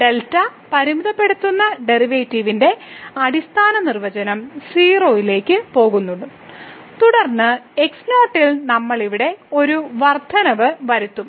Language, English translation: Malayalam, So, the fundamental definition of the derivative that limit delta goes to 0 and then, we will make an increment here in